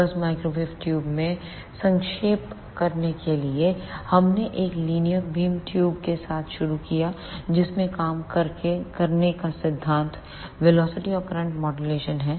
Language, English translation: Hindi, Just to summarize in microwave tubes we started with a linear beam tubes in which the working principle is velocity and current modulation